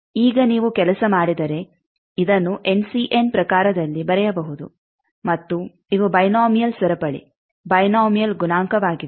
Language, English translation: Kannada, Now, if you just work out this can be written like this in terms of N C m and these are the binomial chain these are the binomial coefficient